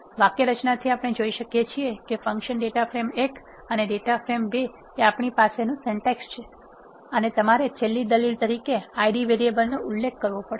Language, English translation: Gujarati, From the syntax we can see that function data frame 1 and data frame 2 is the syntax we have and you have to specify the Id variable as the last argument